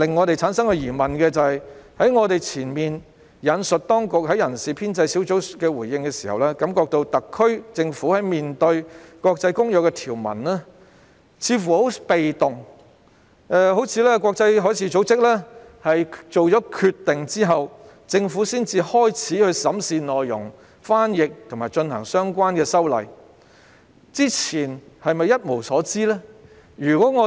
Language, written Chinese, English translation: Cantonese, 就此，我們難免會產生疑問：我之前引述當局在人事編制小組委員會會議上的回應，令人感覺特區政府在面對《公約》條文時似乎很被動，像是在國際海事組織作出決定後，政府才開始審視和翻譯有關內容，然後才着手進行相關的修例工作，但在這之前，它是否真的一無所知呢？, In this regard we cannot help but wonder we get the impression from the Administrations response at the ESC meeting which I quoted earlier that the SAR Government seems to be very passive when it comes to the provisions of the Convention it seemed only after IMO had made the decision did the Government start to examine and translate the relevant contents before proceeding with the relevant legislative amendment exercise . Is it the case that the Government knows nothing about IMOs decision until then?